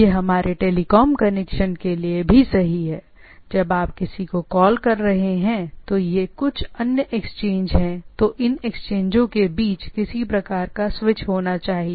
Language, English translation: Hindi, It is true for our telecom connection also, when you are calling somebody it is some other exchange, then there should be some sort of a switching between these exchange